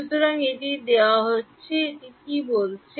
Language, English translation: Bengali, So, this is given what is it saying